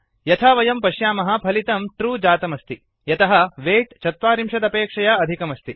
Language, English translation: Sanskrit, As we can see, the output is true because weight is greater than 40